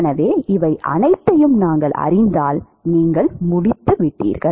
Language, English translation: Tamil, So, if we know all of these, then you are done